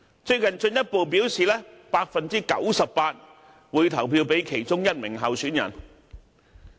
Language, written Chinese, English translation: Cantonese, 最近他們更進一步表示 98% 會投票給其中一名候選人。, Recently they even further stated that 98 % of them will vote for a certain candidate